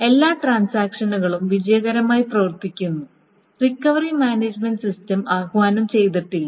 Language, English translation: Malayalam, Every transaction runs successfully and then the recovery management system is not invoked at all